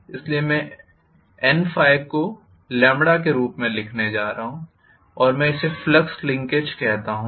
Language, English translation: Hindi, So I am going to write N phi as lambda and I call this as flux linkage